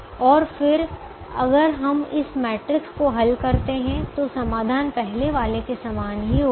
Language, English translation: Hindi, how we solve this matrix, we will see this in the next last class